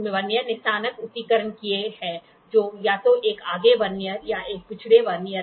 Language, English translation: Hindi, The Vernier has engraved graduations which are either a forward Vernier or a backward Vernier